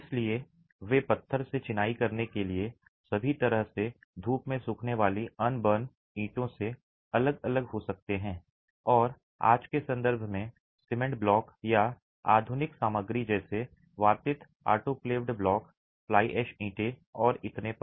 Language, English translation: Hindi, So, they can vary right from sun dried, unburnt bricks all the way to stone masonry and in today's context, cement blocks or modern materials such as aerated, autoclave blocks, fly ash bricks and so on